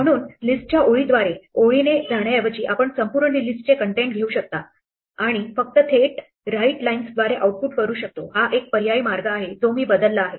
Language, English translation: Marathi, So, instead of going line by line through the list readlines we can take the entire list contents and just output it directly through writelines, this is an alternative way where I have replaced